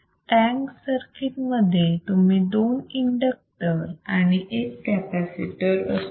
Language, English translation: Marathi, The tank section consistts of two inductors; you see two inductors and one capacitor